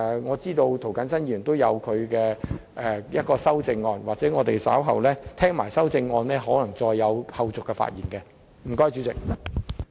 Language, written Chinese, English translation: Cantonese, 我知道涂謹申議員稍後會提出一項修正案，所以在聽罷修正案的內容後，我可能還會再作發言。, As I am aware Mr James TO will propose an amendment later . I may speak again after listening to the details of the amendment